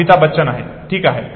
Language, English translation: Marathi, Amitabh Bachchan okay